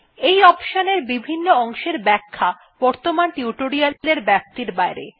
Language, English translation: Bengali, Explanation of the fields of this option is beyond the scope of the present tutorial